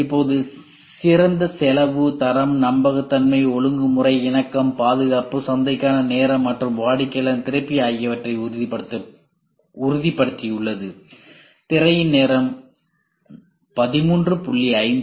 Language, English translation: Tamil, Now it is assure the best cost, quality, reliability, regulatory compliance, safety, time to market, and customer satisfaction